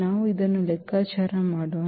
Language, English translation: Kannada, So, like let us compute this